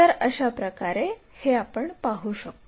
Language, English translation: Marathi, This is the way we observe